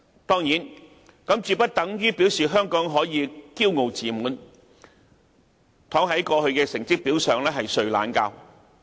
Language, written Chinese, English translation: Cantonese, 當然，這絕不等於表示香港可以驕傲自滿，躺在過去的成績表上睡懶覺。, Of course that does not mean Hong Kong can be complacent and rest on its laurels